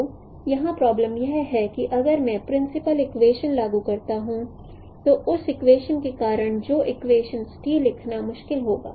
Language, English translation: Hindi, So the problem here is that if I apply simple equation then because of the scale factor that equality will not that equation will be difficult to write